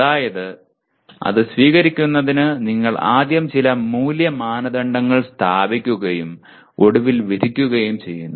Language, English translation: Malayalam, That is for accepting it you first establish some value criteria and then finally judge